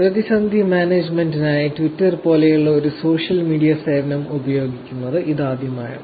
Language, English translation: Malayalam, This is the first time ever social media service like Twitter was actually used for crisis management